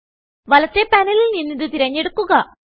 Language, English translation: Malayalam, From the right panel, select it